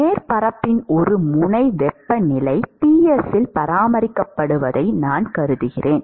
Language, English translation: Tamil, And I maintain that one end of the surface is maintained at a certain temperature surface temperature Ts